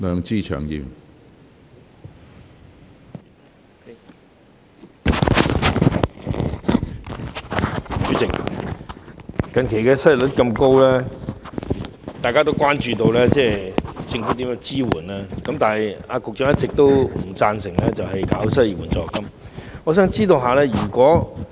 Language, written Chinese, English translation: Cantonese, 主席，近期失業率這麼高，大家都關注政府如何提供支援，但局長一直不贊成推出失業援助金。, President since the recent unemployment rate is so high we are all concerned about how the Government will provide assistance but the Secretary has all along opposed to introducing unemployment benefits